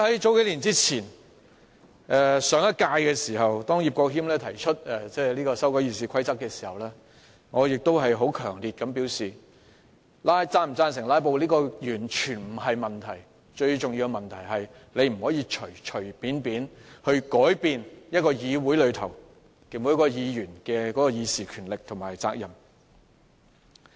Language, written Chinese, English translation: Cantonese, 在數年前的上一屆立法會期間，葉國謙提出修訂《議事規則》，我當時強烈表示，是否贊成"拉布"完全不是問題，最重要的是大家不能隨便改變議會內各位議員的議事權力和責任。, A few years ago in the last term of the Legislative Council Mr IP Kwok - him proposed amending RoP . At that time I made the strong statement that whether Members supported filibusters did not matter at all and the most important thing was that we must not make casual changes to Members right and duty to deliberate in the Council